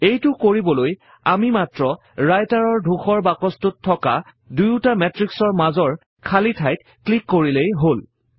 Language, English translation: Assamese, To do this, we can simply click between the gap of these two matrices in the Writer Gray box